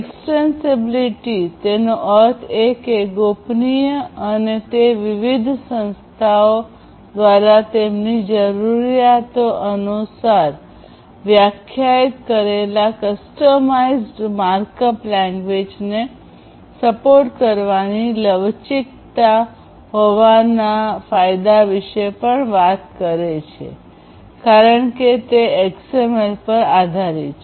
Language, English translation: Gujarati, And, it also talks about the advantage of having the advantage of flexibility which is basically supporting customized markup language defined by different organizations according to their needs, because it is based on XML